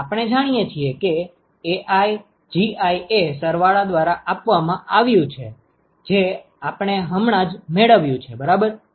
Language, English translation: Gujarati, Now, we know that AiGi is given by the summation that we just derived ok